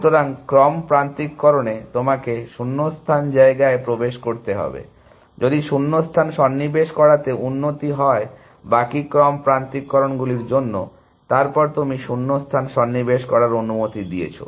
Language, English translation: Bengali, So, in sequence alignment, you are allowed to insert gaps, if inserting the gap improves, the rest of the sequence alignment, then you allowed to insert the gap